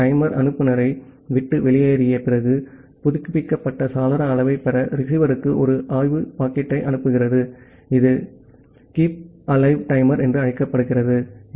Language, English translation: Tamil, So, after the timer goes off the sender forwards a probe packet to the receiver to get the updated window size, there is something called Keepalive timer